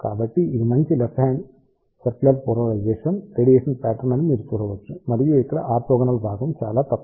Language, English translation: Telugu, So, you can see that it is a good left hand circularly polarized radiation pattern and the orthogonal component here is relatively very very small